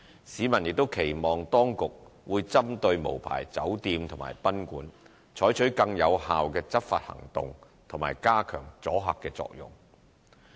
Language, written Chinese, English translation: Cantonese, 市民亦期望當局會針對無牌酒店及賓館，採取更有效的執法行動及加強阻嚇作用。, The public were also expecting more effective enforcement actions and stronger deterrent effect against unlicensed hotels and guesthouses